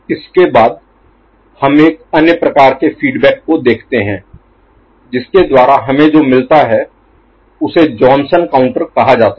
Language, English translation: Hindi, Next, we look at another type of you know, feedback by which what we get is called Johnson counter, ok